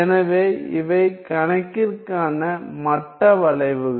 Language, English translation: Tamil, So, these are the level curves for the problem